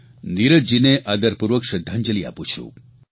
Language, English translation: Gujarati, My heartfelt respectful tributes to Neeraj ji